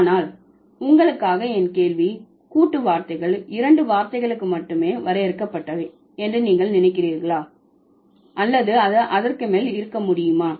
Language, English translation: Tamil, But my question for you would be do you think compound words are limited to two words or it can be more than that